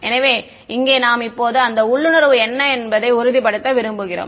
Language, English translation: Tamil, So, here we want to confirm that intuition over here now hm